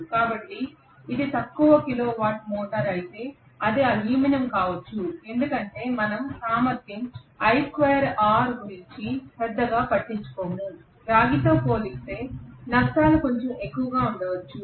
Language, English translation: Telugu, So if it is a low kilo watt motor it may be aluminum because we do not care so much about the efficiency i square r losses may be slightly higher as compare to copper